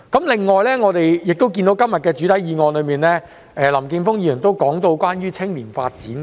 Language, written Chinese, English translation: Cantonese, 此外，在今天的原議案中，林健鋒議員亦提到青年發展。, Besides in the original motion today Mr Jeffrey LAM has also mentioned youth development